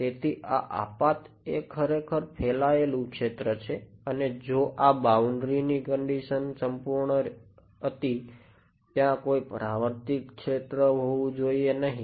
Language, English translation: Gujarati, So, this incident is actually a scattered field only and if this a boundary condition was perfect, there should not be any reflected field